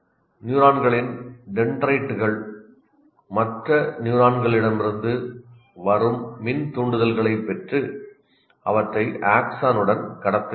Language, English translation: Tamil, Dendrites of neurons receive electrical impulses from other neurons and transmit them along the axon